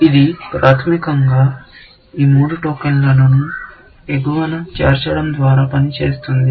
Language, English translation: Telugu, This basically, works by inserting at the top, these three tokens